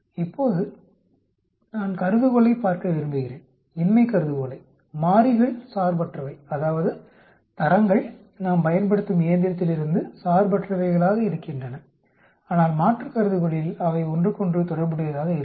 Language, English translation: Tamil, Now, I want to look at the hypothesis the null hypothesis, the variables are independent, that means grades are independent of the machine which we use but alternate will be they are related with each other